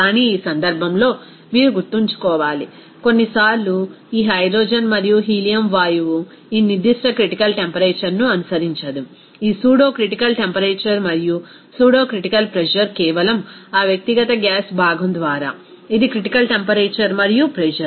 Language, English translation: Telugu, But in this case you have to remember that sometimes this hydrogen and helium gas does not follow this particular critical temperature, this pseudocritical temperature and pseudocritical pressure just by that individual gas component, it is critical temperature and pressure